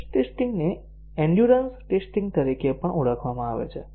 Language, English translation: Gujarati, The stress testing is also called as endurance testing